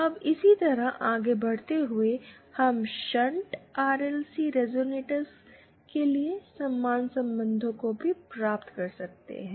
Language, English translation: Hindi, Now, proceeding similarly, we can also derive the same relations for shunt RLC resonators